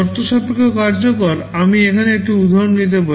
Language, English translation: Bengali, Conditional execution, let me take an example here